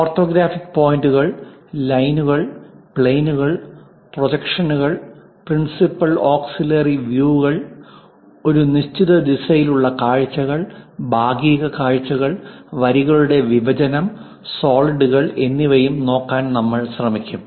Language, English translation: Malayalam, And also we will try to look at orthographic points, lines, planes, projections, principle and auxiliary views, views in a given direction, sectional views, intersection of lines, planes and solids